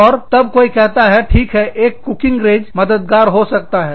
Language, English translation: Hindi, And then, somebody said, okay, a cooking range would be helpful